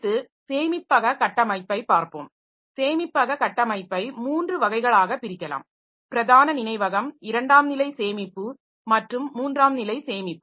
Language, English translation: Tamil, Next we'll be looking into storage structure and storage structure can be broadly divided into three categories, main memory, secondary storage and tertiary storage